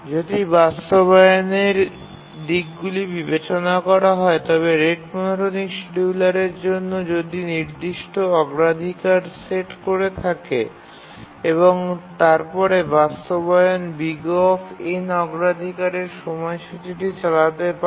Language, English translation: Bengali, If you look at the implementation aspects that we are considering, it's linear for rate monotonic schedulers because if you remember, it said that there are fixed priorities and then the implementation that we had, we could run the scheduler in O 1 priority